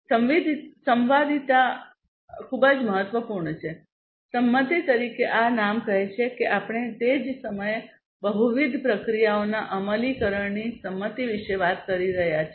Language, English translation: Gujarati, Concurrency is very important, concurrency as this name says we are talking about concurrency of execution of multiple processes at the same time